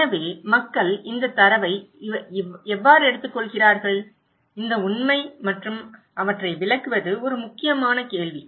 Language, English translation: Tamil, So, how people take this data, this fact and interpret them is a critical question